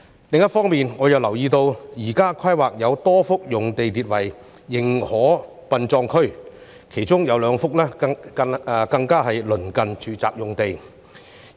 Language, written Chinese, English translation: Cantonese, 另一方面，我亦留意到在現時的規劃中，有多幅用地列作"認可殯葬區"，其中有兩幅更鄰近住宅用地。, On the other hand I have also noticed that under the existing planning many sites are listed as permitted burial grounds two of which are even close to the sites for residential development